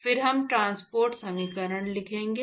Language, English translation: Hindi, Then we will go ahead and look at, write transport equations